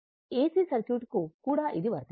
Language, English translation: Telugu, Same will be applicable to your AC circuit also